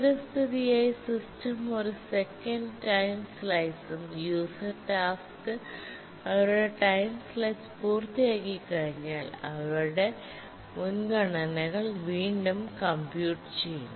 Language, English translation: Malayalam, And the system by default uses a one second time slice and the tasks after the complete their time slice, the user tasks once they complete their time slice, the priorities are recomputed